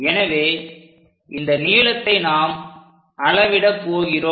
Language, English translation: Tamil, So, that this length we are going to measure it